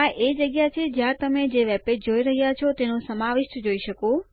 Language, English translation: Gujarati, This is where you see the content of the webpage you are viewing